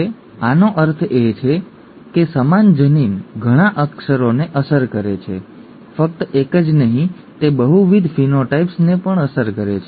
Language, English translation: Gujarati, This means that the same gene affects many characters, not just one, it it affects multiple phenotypes